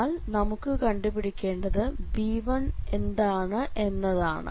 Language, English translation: Malayalam, So, the conclusion here is how to get this b1 now